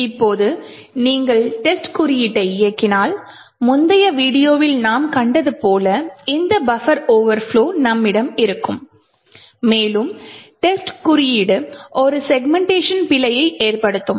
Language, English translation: Tamil, Now if you run test code and we would have this buffer overflow as we have seen in the previous video and test code would segmentation fault and would have a fault